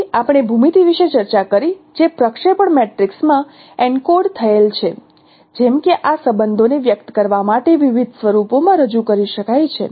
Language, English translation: Gujarati, Then we discussed about the geometry which is encoded in a projection matrix like projection matrices can be represented in different forms to express these relations